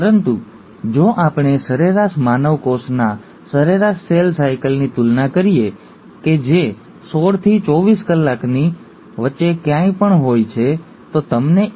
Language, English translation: Gujarati, But if we were to compare an average cell cycle for an average human cell which is anywhere between sixteen to twenty four hours, you find prokaryotes like E